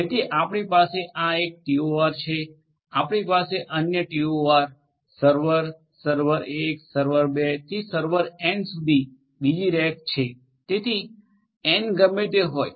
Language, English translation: Gujarati, So, we have one TOR, we have another rack with another TOR, server, server 1, server 2 to server n so, whatever be the n right